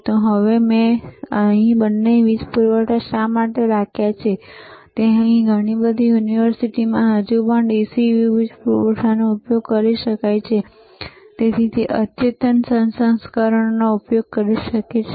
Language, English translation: Gujarati, So now, why I have kept both the power supplies here is that lot of universities may still use this DC power supply or may use advanced version